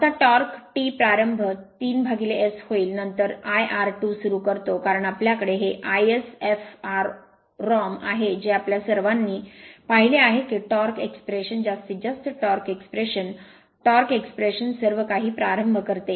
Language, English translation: Marathi, Now starting torque T start will be 3 by omega S then I starts square into your r 2 dash because we have we have this is from that expression we have all seen that start starting torque expression, maximum torque expression, torque expression everything